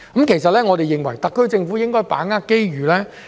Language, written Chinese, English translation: Cantonese, 其實，我們認為特區政府應該把握機遇。, Honestly we think that the SAR Government should capitalize on this opportunity